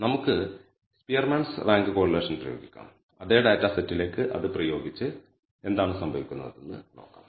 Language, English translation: Malayalam, Let us apply de ne Spearman’s rank correlation apply it to a same data set and see what happens